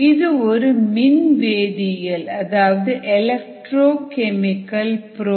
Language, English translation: Tamil, it is an electrochemical probe